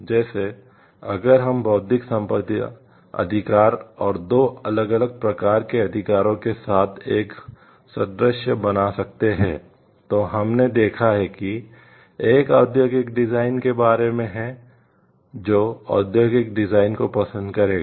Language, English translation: Hindi, Like, if we can draw an analogy with the intellectual property rights and the 2 different types of rights we have seen one is about the industrial design property will like industrial designs